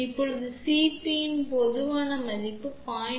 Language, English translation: Tamil, Now, the typical value of the C p can be from 0